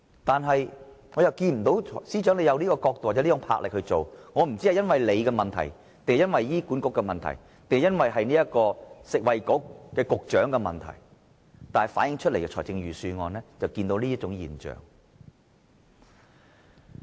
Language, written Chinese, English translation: Cantonese, 但是，我看不到司長有從這個角度或有這股魄力去做，我不知道是因為他的問題，還是醫管局的問題，或是食物及衞生局局長的問題，但預算案確實反映出這種現象。, But I do not see the Financial Secretary has considered from this perspective or has the drive to do this work . I do not know whether this is his problem or that of HA or the Secretary for Food and Health . But the Budget does reflect such a phenomenon